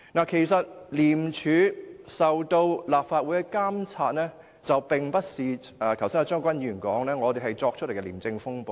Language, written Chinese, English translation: Cantonese, 其實，廉署受立法會監察，並非一如張國鈞議員所說般，是我們捏造出來的"廉署風暴"。, Actually ICAC is subject to the monitoring of the Legislative Council . And this ICAC storm is not created by us based on fabrication as asserted by Mr CHEUNG Kwok - kwan